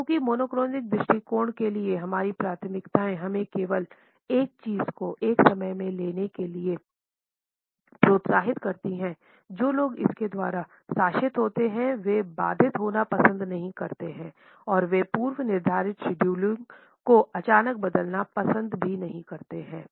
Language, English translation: Hindi, Because our preference for the monochronic attitude encourages us to take up only one thing at a time, people who are governed by it do not like to be interrupted and also do not prefer to suddenly change the pre decided scheduling